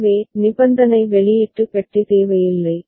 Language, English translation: Tamil, So, conditional output box need not be required